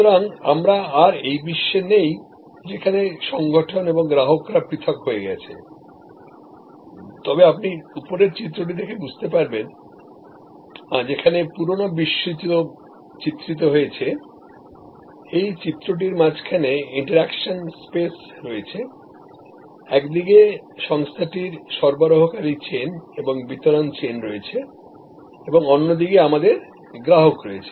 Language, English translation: Bengali, So, we are no longer in this world, where organizations and consumers are separated, but as you see here that this diagram which is on top, where the old world is depicted, where in this middle is this the interaction space, on one side we have the organization with it supply chain and delivery chain and on the other side, we have the customers